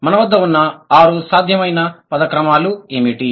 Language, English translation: Telugu, So, what are the possible, six possible word orders that we have